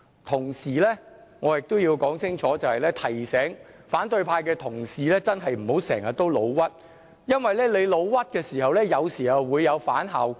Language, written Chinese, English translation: Cantonese, 同時，我亦要說清楚，提醒反對派的同事真的不要經常誣衊別人，因為這樣做有時候會有反效果。, At the same time I also have to clearly remind colleagues from the opposition camp that they should not often falsely accuse other people as it may backfire sometimes